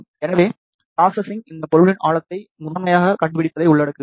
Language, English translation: Tamil, So, the processing involves finding out the depth of this object primarily